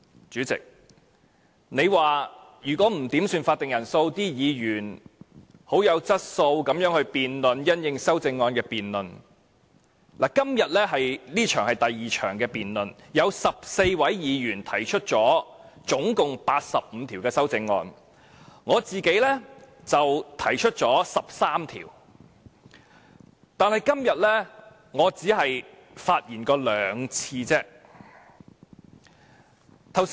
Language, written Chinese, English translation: Cantonese, 主席，你說如果議員不要求點算法定人數，而議員又很有質素地因應修正案進行辯論，今天這一節是第2項辯論，有14位議員可以提出總共85項修正案，而我自己提出了13項，但今天我只是發言了兩次而已。, Chairman you say that if Members do not make quorum calls and speak solidly on the amendments 14 Members will be able to speak and propose a total of 85 amendments today in this second debate . I have proposed 13 of the amendments but I only had so far two opportunities to speak today